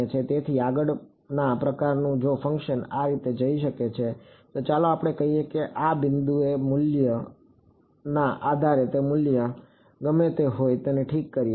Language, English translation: Gujarati, So, the next kind of if the function can go like this let us say depending on the value at this point correct whatever it is value is